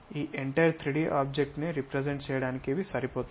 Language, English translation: Telugu, These are good enough to represent this entire 3D object